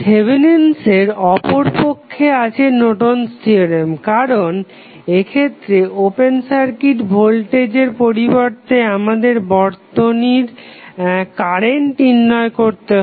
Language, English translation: Bengali, Opposite to the Thevenin's we have the Norton's theorem, because in this case, instead of open circuit voltage, we need to find out the circuit current